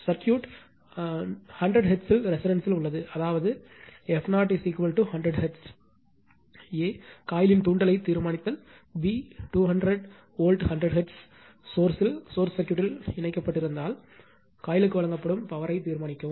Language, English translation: Tamil, The circuit resonates at 100 hertz that means your f 0 is equal to 100 hertz; a, determine the inductance of the coil; b, If the circuit is connected across a 200 volt 100 hertz source, determine the power delivered to the coil